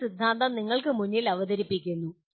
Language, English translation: Malayalam, Some theorem is presented to you